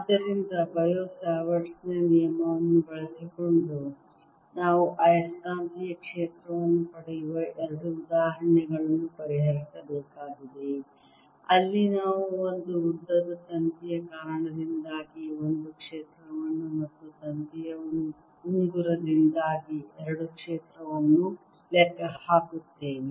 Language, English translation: Kannada, so we have to solve two examples of getting magnetic field using bio savart's law, where we calculate: one, the field due to a long wire and two, the field due to a ring of wire